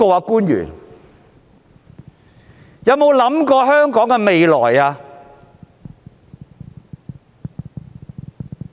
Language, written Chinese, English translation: Cantonese, 官員們有否為香港的未來想過？, Have our officials ever given some thought to the future of Hong Kong?